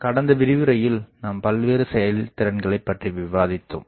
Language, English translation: Tamil, In the last lecture we were discussing about the various efficiencies